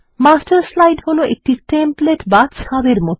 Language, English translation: Bengali, The Master slide is like a template